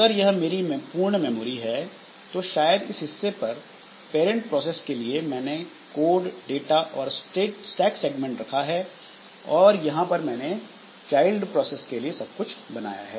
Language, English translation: Hindi, So if this is my complete memory that I have, maybe in this part I have kept the code data and stack segment for this process, parent process P, and here I have created everything for the child process CH